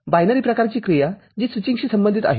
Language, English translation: Marathi, A binary kind of activity that is associated with switching